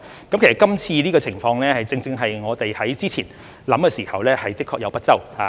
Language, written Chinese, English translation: Cantonese, 其實今次的情況，正正是我們之前考慮的時候，的確有不周之處。, In fact what has happened this time precisely shows that there were indeed oversights in our earlier consideration